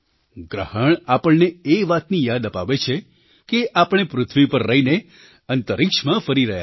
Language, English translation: Gujarati, The eclipse reminds us that that we are travelling in space while residing on the earth